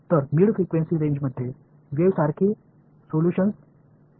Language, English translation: Marathi, So, the mid frequency range has wave like solutions ok